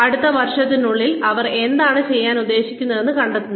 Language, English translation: Malayalam, Finding out, what they should plan to do, within the next year